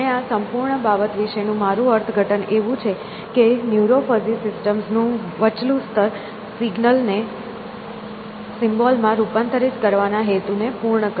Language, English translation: Gujarati, And you may have and this is my interpretation of this whole thing that an intermediate layer of neuro fuzzy systems which serve the purpose of converting signals into symbols essentially